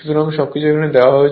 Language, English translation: Bengali, So, everything is given